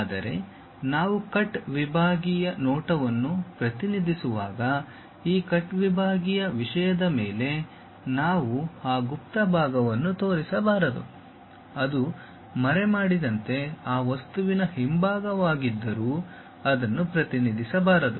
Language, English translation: Kannada, But, when we are representing cut sectional view, we should not show that hidden part on this cut sectional thing; though it is a back side of that object as hidden, but that should not be represented